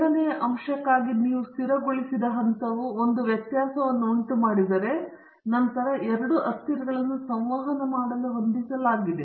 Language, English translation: Kannada, If the level you have fixed for the second factor makes a difference then the two variables are set to interact